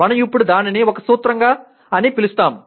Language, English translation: Telugu, Only thing we now call it a principle